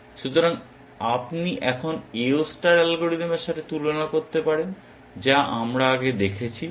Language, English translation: Bengali, So, you can now also make a comparison or with the AO star algorithm that we had seen